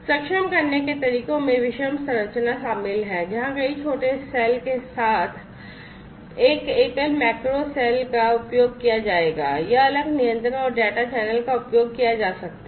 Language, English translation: Hindi, Enabling methods include heterogeneous structure where a single macro cell with multiple small cells would be used or separate control and data channels could be used